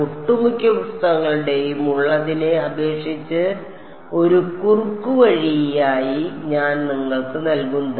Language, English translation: Malayalam, What I am giving you as a bit of short cut one short cut compared to what most of the books have